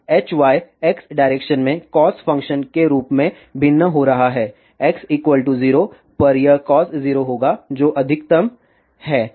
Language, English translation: Hindi, So, H y is varying as cos function along x direction, at x is equal to 0 this will be cos 0 which is maximum